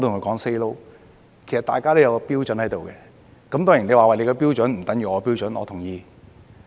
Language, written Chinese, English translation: Cantonese, 其實，大家都有一個標準，當然你說你的標準不等於我的標準，我同意。, In fact we all uphold a certain standard . Certainly you can say that your standard is not equal to mine and I agree